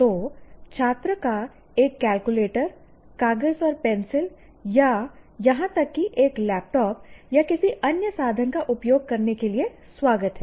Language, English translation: Hindi, So the student is welcome to use a calculator, a paper and pencil, or paper and pencil, or maybe even a laptop or whatever that you want to call